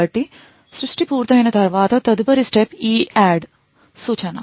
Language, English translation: Telugu, So, after creation is done the next step is an EADD instruction